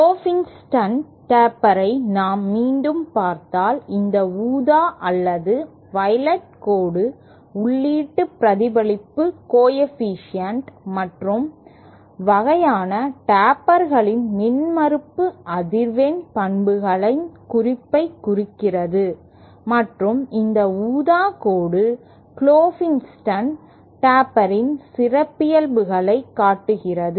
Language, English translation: Tamil, And if we again see the Klopfenstein taper this purple or violet line represents the taper of the impedance frequency characteristics of the input reflection coefficient various kind of tapers and this purple line shows the characteristics of Klopfenstein taper